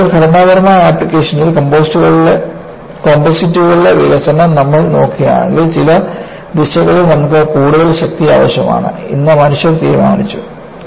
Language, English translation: Malayalam, In fact, if you look at the development of composites in structural application, people decided, under certain directions you need more strength